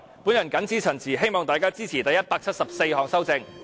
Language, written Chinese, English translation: Cantonese, 我謹此陳辭，希望大家支持第174項修正案。, With these remarks I urge Members to support Amendment No . 174